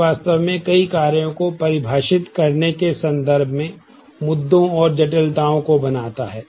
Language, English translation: Hindi, It actually creates a lot of issues and complications in terms of defining many operations